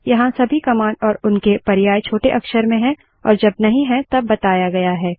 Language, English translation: Hindi, Here all commands and their options are in small letters unless otherwise mentioned